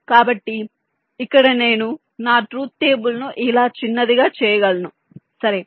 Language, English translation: Telugu, so here i can make my truth table short in this way